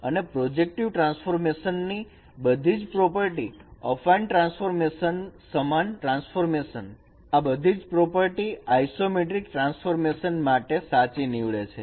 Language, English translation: Gujarati, And this transformation is a subgroup of similarity transformation and all the properties of projective transformation, affine transformation, similarity transformation, all those properties are also true for a isometry transformation